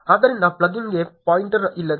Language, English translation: Kannada, So, here is the pointer to the plugin